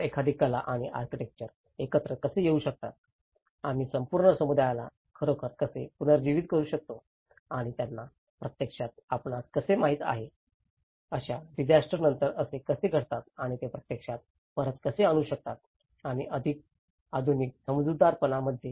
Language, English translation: Marathi, So, how an art and architecture can come together, how we can actually revitalize the whole community and how they can actually you know, come up with this kind of aftermath of a disaster and how they can actually bring back to the normal and that to in a more of a modernistic understanding